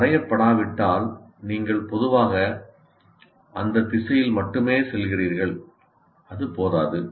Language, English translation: Tamil, If it is not attained, you are only generally going in that direction that is not sufficient